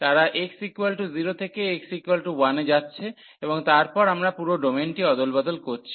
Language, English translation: Bengali, They are going from x is equal to 0 to x is equal to 1 and then we are swapping the whole domain